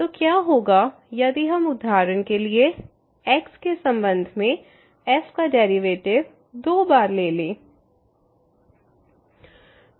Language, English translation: Hindi, So, what will happen if we take for example, the derivative of with respect to two times